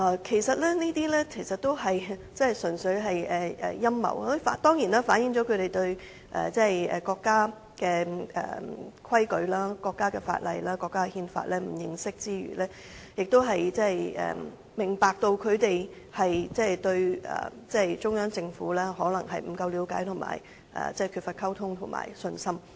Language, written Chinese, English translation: Cantonese, 這些純粹是陰謀論，除了反映他們對國家的規矩、法例、憲法不認識，亦顯示他們可能對中央政府了解不足、缺乏溝通及信心。, This is nothing but a conspiracy theory which shows their lack of understanding of the rules legislation and constitution of the country . It also shows a lack of understanding communication and confidence between them and the Central Government